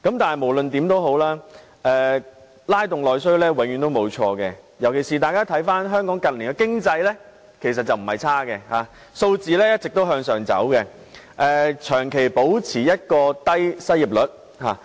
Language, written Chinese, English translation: Cantonese, 但無論如何，拉動內需永遠也不會錯，尤其是當大家看看香港近年的經濟，其實情況不壞，數字持續上升，長期保持低失業率。, In particular let us take a look at the Hong Kong economy in recent years . The situation is not bad indeed . Indicator figures have been rising continuously and the unemployment rate has remained at a low level for a long time